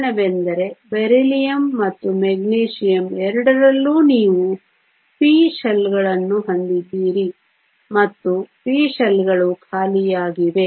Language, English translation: Kannada, The reason is in the case of both Beryllium and Magnesium you also have the p shells and the p shells are empty